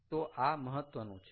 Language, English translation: Gujarati, so this is important